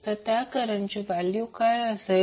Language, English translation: Marathi, So what is the value of current